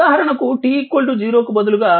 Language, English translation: Telugu, Now, at t is equal to 0